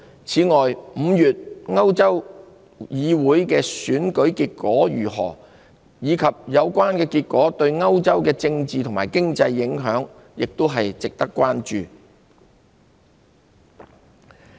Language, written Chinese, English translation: Cantonese, 此外 ，5 月歐洲議會的選舉結果如何，以及有關結果對歐洲的政治和經濟的影響也值得關注。, Also worthy of our attention are the results of the European Parliament election to be held in May and their political and economic implications to Europe